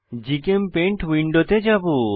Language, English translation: Bengali, I will switch to GChemPaint window